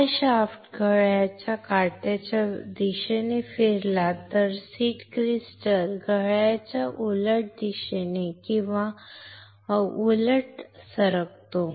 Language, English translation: Marathi, This shaft if moves in a clockwise direction, the seed crystal moves in the anticlockwise direction or vice versa right